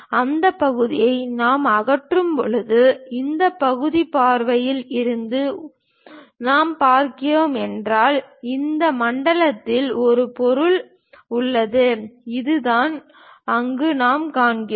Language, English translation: Tamil, When we remove that part; if we are looking from this side view, there is a material present in this zone and that is the one what we are seeing there